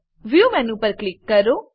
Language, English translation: Gujarati, Click on the View menu